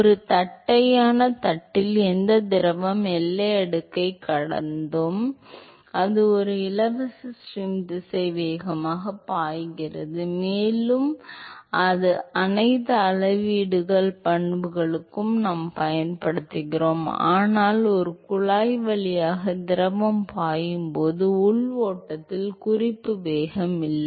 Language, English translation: Tamil, In a flat plate you had whatever fluid flowing well past the boundary layer which that is a free stream velocity and we use that for all scaling properties, but in an internal flow when fluid is flowing through a pipe there is no reference velocity